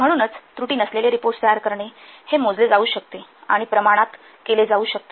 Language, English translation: Marathi, So producing the reports with no errors, of course, this can be measured and quantified